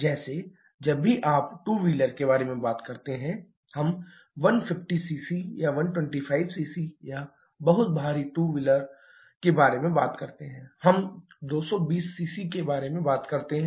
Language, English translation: Hindi, Like whenever you are talk about say two wheelers, we talk about 150 cc, 125 cc, or very heavy two wheelers we talk about 220 cc